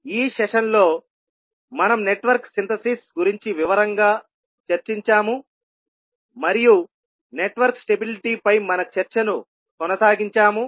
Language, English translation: Telugu, So in this session, we discussed about the Network Synthesis in detail and also carried out our discussion on Network Stability